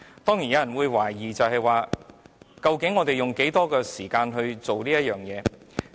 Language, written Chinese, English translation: Cantonese, 當然有人會懷疑，究竟我們應用多少時間處理這事情？, Of course some people may doubt about how long a time we should spend on this process